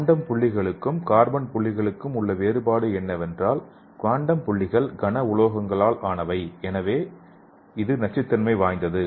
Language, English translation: Tamil, So we can see the difference between the quantum dot and the carbon dots so the quantum dots are made up of the heavy metals and so it have toxicity and the carbon dots are the mostly carbon sources